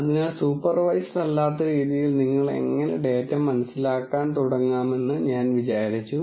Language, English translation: Malayalam, So, I explained how in an unsupervised fashion you can actually start making sense out of data